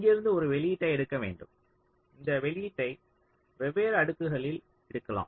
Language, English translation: Tamil, so from here you have to take an output, and this output can be taken on different layers